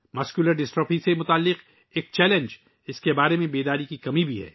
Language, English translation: Urdu, A challenge associated with Muscular Dystrophy is also a lack of awareness about it